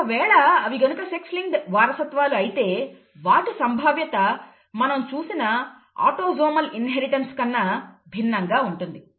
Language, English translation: Telugu, If it is sex linked inheritance the probabilities would be different from what we have seen if they had been autosomal inheritance